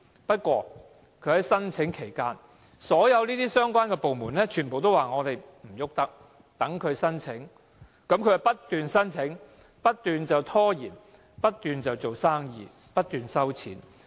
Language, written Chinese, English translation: Cantonese, 不過，在忠和精舍申請期間，所有相關部門都表示無法處理，容許它申請，於是它便不斷申請、拖延，不斷做生意、收錢。, However during the application period of Chung Woo Ching Shea the departments concerned indicated that they could not do anything except allow it to make applications . Hence it has continuously made applications for the purpose of procrastinating doing business and collecting fees